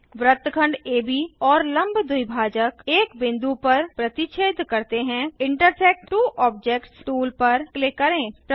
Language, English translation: Hindi, Segment AB and Perpendicular bisector intersect at a point,Click on Intersect two objects tool